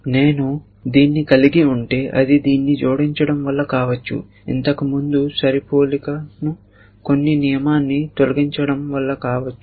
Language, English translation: Telugu, May be, if I have because of adding this may be because of deleting this some rule which was firing matching earlier will not match now